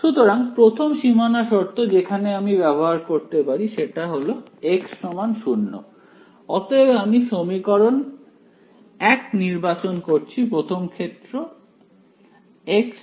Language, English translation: Bengali, So, first boundary condition we can apply is at x is equal to 0, so I will choose equation 1 right x x is equal to 0 comes in the 1st case right